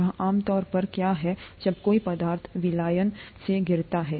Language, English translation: Hindi, That’s typically what happens when a substance falls out of solution